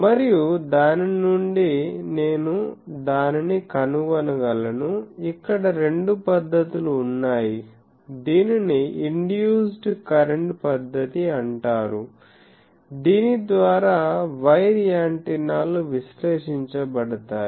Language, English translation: Telugu, And, from that also I can find the thing both methods are there, this is called induced current method by which where antennas are analysed